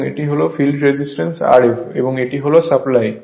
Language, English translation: Bengali, And this is your field running and field resistance R f and this is the supply right